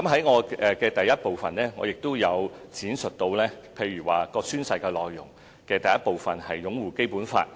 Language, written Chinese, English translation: Cantonese, 我在主體答覆第一部分提到，宣誓內容的第一部分是擁護《基本法》。, I mentioned in part 1 of the main reply that the first part of the oath content concerns upholding BL